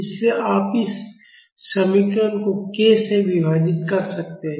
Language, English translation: Hindi, So, you can divide this equation by k